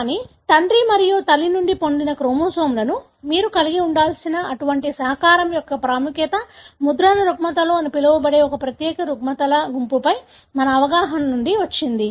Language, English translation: Telugu, But, the importance of such contribution that you should have the chromosomes derived from father and the mother, have come from our understanding on a unique group of disorders called imprinting disorders